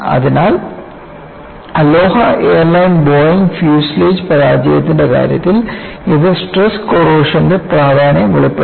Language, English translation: Malayalam, Earlier, in the case of Aloha Airline Boeing fuselage Failure, it brought out the importance of stress corrosion